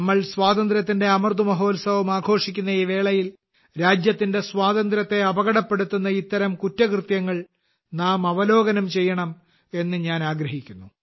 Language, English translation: Malayalam, I wish that, today, when we are celebrating the Azadi Ka Amrit Mahotsav we must also have a glance at such crimes which endanger the freedom of the country